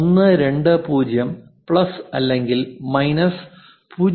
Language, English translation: Malayalam, 120 plus or minus 0